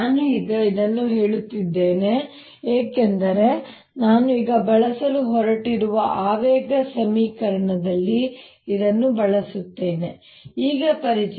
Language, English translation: Kannada, i am saying this now because i will use it in the momentum equation that i am going to use now